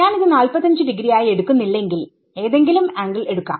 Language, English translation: Malayalam, If I do not take this to be 45 degrees take this to be any angle